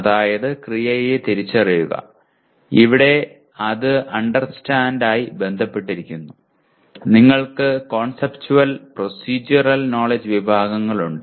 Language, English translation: Malayalam, That means identify verb, here is associated with Understand and you have Conceptual, Procedural Knowledge Categories